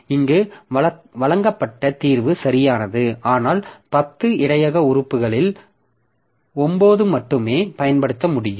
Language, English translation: Tamil, The solution presented here is correct but only 9 out of 10 buffer elements can be used